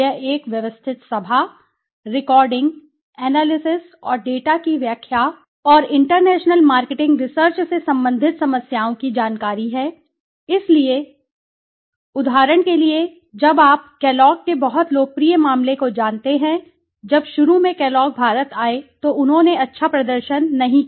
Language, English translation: Hindi, It is a systematic gathering, recording, analysis and interpretation of the data and information on problems relating to the international marketing so let me give you an several examples for example when you know the very popular case of Kellogg s when Kellogg s came to India initially they did not do well